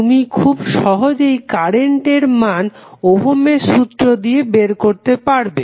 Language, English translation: Bengali, You can easily find out the value of currents using Ohm's law